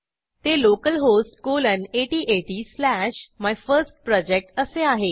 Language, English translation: Marathi, It is localhost colon 8080 slash MyFirstProject